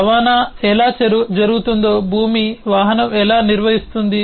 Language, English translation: Telugu, then how does land vehicle define how transport happens